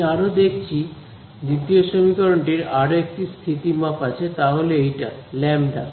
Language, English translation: Bengali, Further, I notice the second equation has one more parameter that has come upon which is this guy lambda